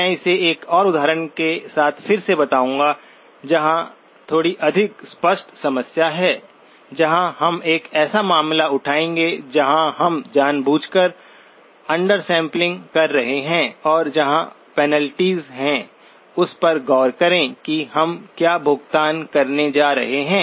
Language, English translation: Hindi, I would revisit it with 1 more example where there is a little bit more explicit problem where, we will take a case where we are deliberately under sampling and look at where the penalties are, what is the cost that we are going to pay